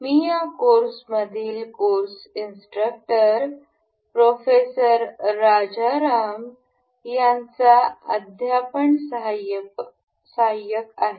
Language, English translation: Marathi, I am the teaching assistant to the course instructor Professor Rajaram in this course